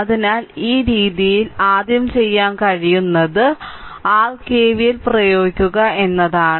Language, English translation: Malayalam, So, this way so, what you can do is first you apply your KVL like this